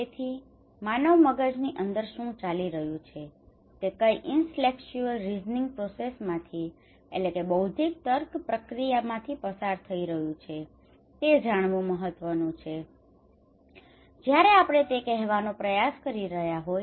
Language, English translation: Gujarati, So what is going on inside human brain what intellectual reasoning process they are going through is important to know when we are trying to say that okay